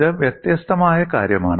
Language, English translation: Malayalam, This is something different